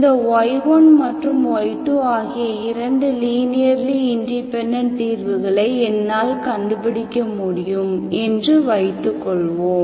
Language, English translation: Tamil, Assume that I can find this y1 and y2 are 2 linearly independent solutions you know, you know somehow, okay